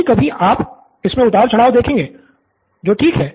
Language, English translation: Hindi, Sometimes you will find that there are high and low which is fine